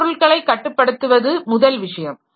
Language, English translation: Tamil, One thing is controlling the hardware